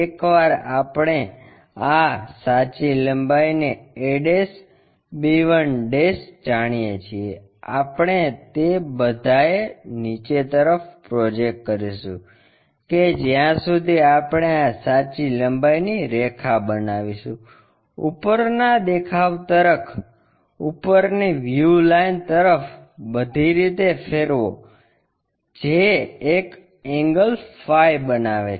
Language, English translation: Gujarati, Once, we know this true length a' b 1', we project that all the way down, where we are going to construct this true length line, towards top view line, rotate that all the way to top view line which is making an angle phi and we will be in a position to construct this a b